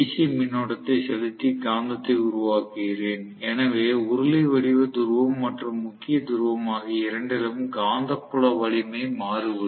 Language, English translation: Tamil, I am actually injecting a current, DC current and I am making the magnet, so magnetic fields strength can be varied in the case of cylindrical pole as well as salient pole alternator